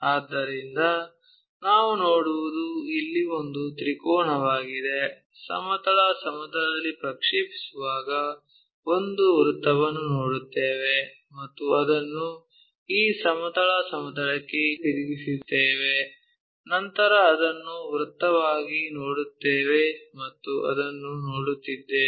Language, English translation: Kannada, When we are projecting on the horizontal plane, we see a circle and rotate that on to this horizontal plane, then we will see it as a circle and that is one what we are seeing